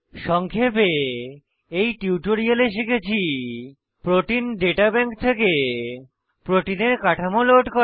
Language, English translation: Bengali, In this tutorial, we will learn to * Load structures of proteins from Protein Data Bank